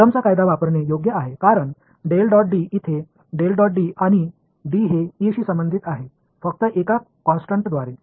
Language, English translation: Marathi, Using Coulomb’s law right because del dot D over here, del dot D and D is related to E just by a constant